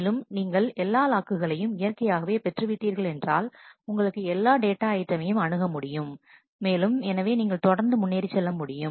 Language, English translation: Tamil, And once you have got all the locks naturally you have every access to all possible data items and therefore, you will be able to proceed